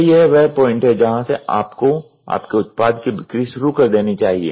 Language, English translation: Hindi, So, this is where you have started making sale of your product